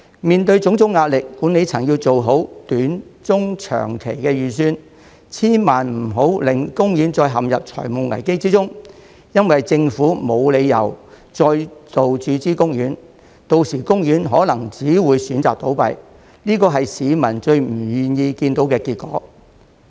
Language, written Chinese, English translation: Cantonese, 面對種種壓力，管理層要做好短中長期的預算，千萬不能令公園再陷入財務危機中，因為政府已沒有理由再度注資公園，到時公園可能只有選擇倒閉，這是市民最不願意看到的結果。, It must take every step to prevent OP from sinking into a financial crisis again because it will no longer be justified for the Government to further inject funds into OP and by then OP can only choose to close down which is the last thing that the public will wish to see